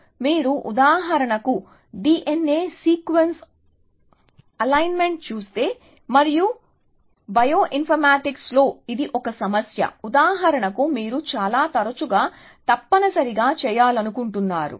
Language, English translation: Telugu, So, if you look at for example, D N A sequence alignment, and that is a problem with in bio informatics, for example, you want to do very often essentially